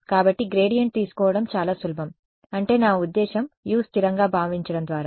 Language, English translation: Telugu, So, to take gradient is very simple that is what I mean by assuming U constant